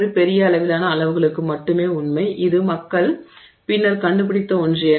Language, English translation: Tamil, It is only for a true for a large range of sizes and that is something that people discovered only much later